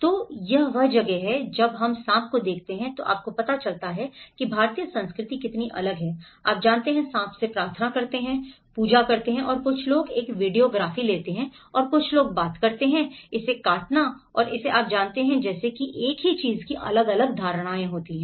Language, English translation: Hindi, So, this is where when we look at the snake you know how different cultures, the Indian culture you know, pray to the snake and some people take a videography and some people talk about cutting it and eating it you know, like that there is different perceptions of the same thing